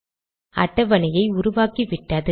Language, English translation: Tamil, So it has created the table